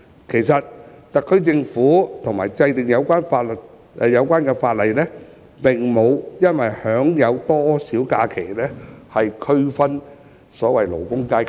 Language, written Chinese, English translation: Cantonese, 其實特區政府及其制定的有關法例，並無意以享有假期的日數來區分所謂的勞工階級。, In fact the SAR Government and the relevant legislation it has enacted have no intention to categorize labour based on the number of their leave days